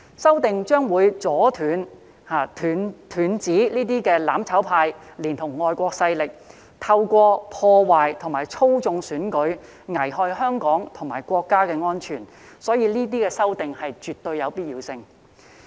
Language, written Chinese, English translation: Cantonese, 修訂將會阻斷"攬炒派"連同外國勢力透過破壞和操縱選舉，危害香港及國家的安全，所以這些修訂絕對有必要。, The amendments will stop the mutual destruction camp together with foreign forces from jeopardizing the security of Hong Kong and the country through sabotaging and manipulating elections . For this reason these amendments are absolutely necessary